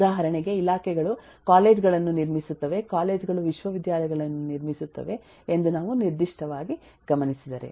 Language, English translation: Kannada, for example, if we look into this particular, that departments eh build up colleges, colleges build up universities